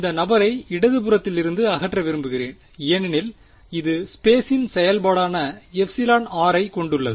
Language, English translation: Tamil, I want to get I want to remove this guy from the left hand side because it has a function of space epsilon r is a function of space